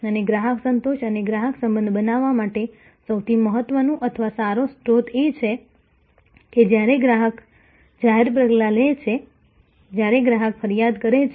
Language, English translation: Gujarati, And the most important asset or a good source for creating customer satisfaction and customer relationship is when customer takes public action, when customer complaints